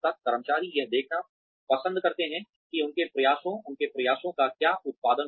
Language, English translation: Hindi, Employees like to see, how their efforts, what their efforts, have produced